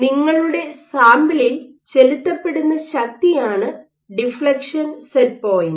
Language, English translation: Malayalam, So, deflection set point is the force with which you are proving your sample